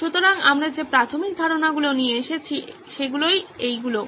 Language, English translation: Bengali, So these are the basic assumptions we’ve come up with